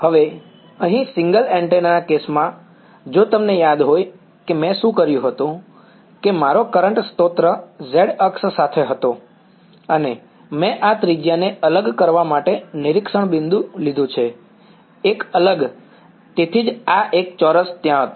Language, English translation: Gujarati, Now, in the single antenna case over here, if you remember what I done was that my current source was along the z axis and I has taken the observation point to be this radius apart; a apart right, that is why this a squared was there